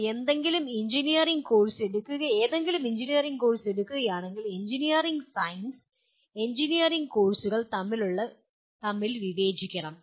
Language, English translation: Malayalam, If you take any engineering course, one must differentiate also differences between engineering science and engineering courses